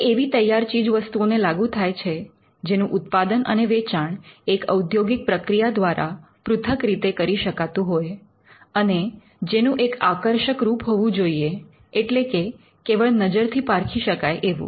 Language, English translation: Gujarati, It is applied to a finished article which is capable of being made and sold separately by an industrial process and it should have a visual appeal meaning which it should be judged solely by the eye